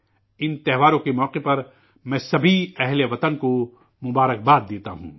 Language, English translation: Urdu, On the occasion of these festivals, I congratulate all the countrymen